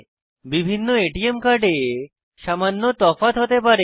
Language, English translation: Bengali, There could be minor variations in different ATM cards